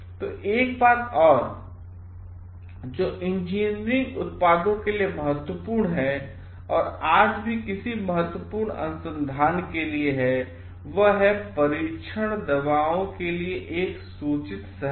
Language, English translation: Hindi, So, another thing which is important for engineering products which is very very important today for any kind of research also it is a all for informed consent testing drugs